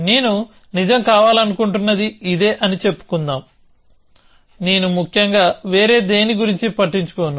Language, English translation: Telugu, Let us say this is what I want to be true, I do not care about anything else essentially